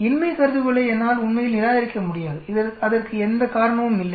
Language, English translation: Tamil, I will not be able to really reject null hypothesis, there is no reason for that